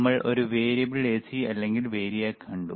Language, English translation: Malayalam, And we have seen a variable AC or variac